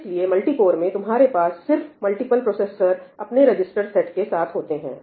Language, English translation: Hindi, So, in multi cores you just have multiple processors each with its own register set